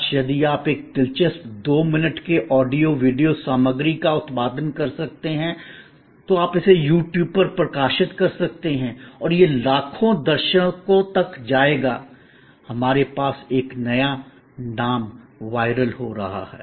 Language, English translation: Hindi, Today, if you can produce an interesting 2 minutes of audio, video material, you can publish it on YouTube and it will go to millions of viewers, we have a new name going viral